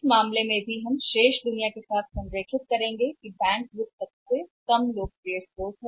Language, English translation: Hindi, In this case also we will have align with the rest of the world where the bank finance is the least popular source